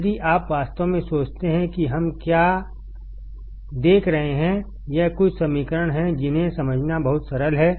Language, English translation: Hindi, If you really think what we are looking at; it is some equations which are so simple to understand